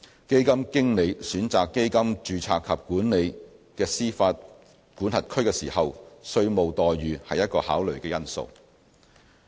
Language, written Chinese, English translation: Cantonese, 基金經理選擇基金註冊及管理的司法管轄區時，稅務待遇是一個考慮因素。, Parity of tax treatment is another consideration influencing the choice of jurisdiction for fund domiciliation and management